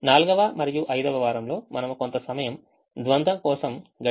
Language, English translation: Telugu, the fourth and fifth week we spend some time on the dual